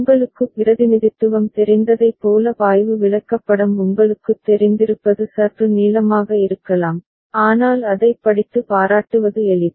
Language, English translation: Tamil, It may be a bit long you know flow chart like you know representation, but it is easier to read and make appreciation out of it